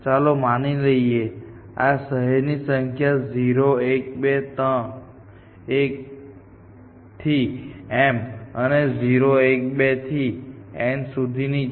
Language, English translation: Gujarati, Let us say, this cities are numbered 0, 1, 2 up to m and 0, 1, 2 up to n